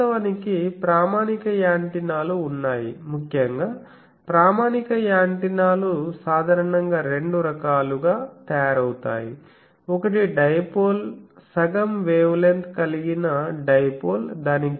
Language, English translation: Telugu, So, actually there are standard antennas particularly in standard antennas are generally made of two types, one is either a dipole a half wavelength dipole it is gain is 2